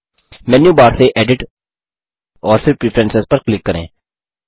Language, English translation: Hindi, From the Menu bar, click on Edit and then Preferences